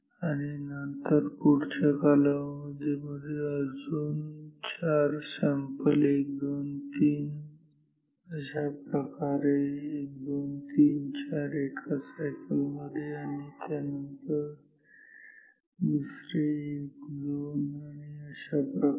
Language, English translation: Marathi, And, then in the next period again 4 samples 1 2 3 so, 1 2 3 4 and this is within 1 cycle and then another 1 2 so on